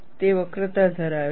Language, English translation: Gujarati, It is having a curvature